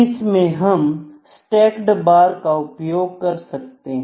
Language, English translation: Hindi, In that case stacked bar can be used, ok